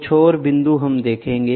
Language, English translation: Hindi, Some more points we will see